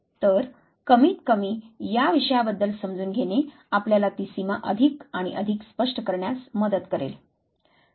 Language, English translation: Marathi, So, at least understanding of the subject it will help you draw that line much and much clearer